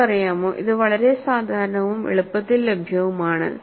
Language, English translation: Malayalam, You know, this is very popular and easily available